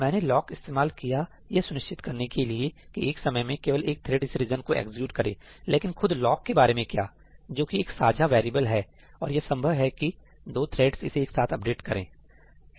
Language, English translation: Hindi, That I have used lock as a mechanism to ensure that only one thread executes this region at a time, but what about lock itself that is a shared variable and it is possible that two threads may update it together